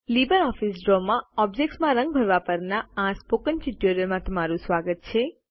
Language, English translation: Gujarati, Welcome to the Spoken Tutorial on Fill Objects with Color in LibreOffice Draw